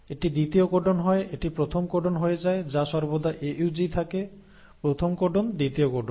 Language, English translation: Bengali, So this becomes the second codon, this becomes the first codon which is always AUG; first codon, second codon